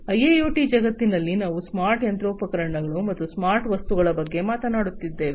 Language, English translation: Kannada, So, in the IIoT world we are talking about smart machinery, smart objects, smart physical machinery